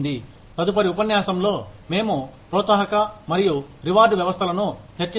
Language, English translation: Telugu, In the next lecture, we will discuss, incentive and reward systems